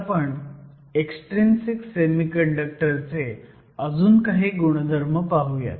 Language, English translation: Marathi, So, let us look some more today on the properties of Extrinsic Semiconductors